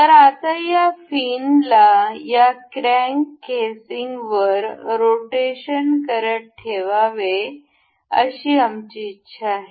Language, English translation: Marathi, So, now, we want this this fin to be rotated to be placed over this crank casing